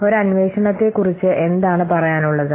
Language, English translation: Malayalam, What is about an inquiry